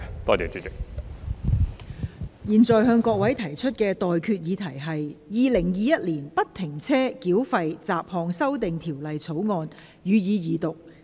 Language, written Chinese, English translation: Cantonese, 我現在向各位提出的待決議題是：《2021年不停車繳費條例草案》，予以二讀。, I now put the question to you and that is That the Free - Flow Tolling Bill 2021 be read the Second time